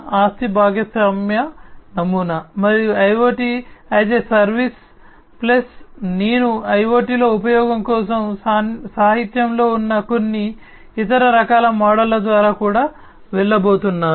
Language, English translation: Telugu, Asset sharing model, and IoT as a service plus I am also going to go through some of the other types of models that are there in the literature for use in IoT